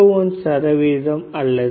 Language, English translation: Tamil, 201 percent or 0